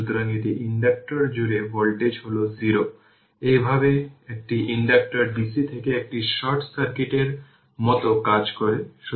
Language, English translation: Bengali, Therefore, the voltage across an inductor is 0 thus an inductor acts like a short circuit to dc right